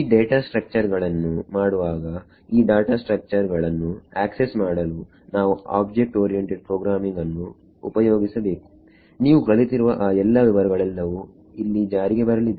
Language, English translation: Kannada, In making these data structures accessing of these data structures should use object oriented programming all of those details everything that you have learnt it comes into play over here